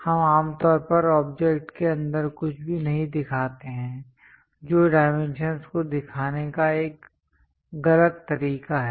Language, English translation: Hindi, We usually do not show anything inside of the object that is a wrong way of showing the dimensions